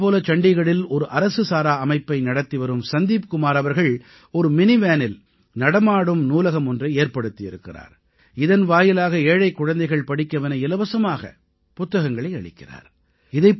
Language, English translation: Tamil, In Chandigarh, Sandeep Kumar who runs an NGO has set up a mobile library in a mini van, through which, poor children are given books to read free of cost